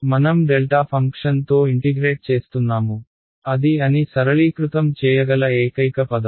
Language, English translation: Telugu, I am integrating over a delta function that is the only term that seems to be that it might simplify ok